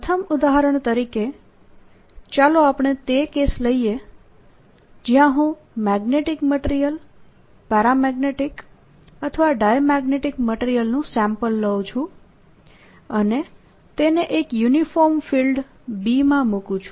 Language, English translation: Gujarati, as the first example, let us take the case where i take a sample of magnetic material, paramagnetic or diamagnetic, and put it in a uniform field b